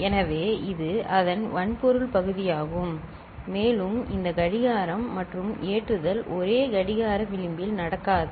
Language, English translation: Tamil, So, this is the hardware part of it and this shifting and loading are not happening in the same clock edge